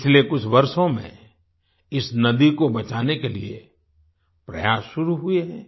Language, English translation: Hindi, Efforts have started in the last few years to save this river